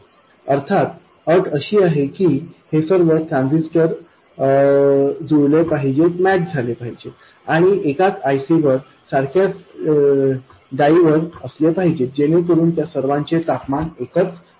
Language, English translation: Marathi, Of course the condition is that all these transistors must be massed and must be on the same IC, same dye, so that they are all at the same temperature and so on